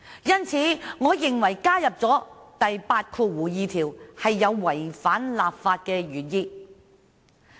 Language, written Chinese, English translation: Cantonese, 因此，我認為加入第82條，會違反立法的原意。, Therefore I think that the inclusion of clause 82 will defeat the legislative intent